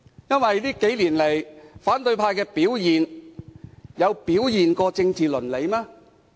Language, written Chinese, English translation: Cantonese, 這幾年，反對派的表現尊重政治倫理嗎？, Did the acts of opposition Members indicate that they show respect for political ethics these years?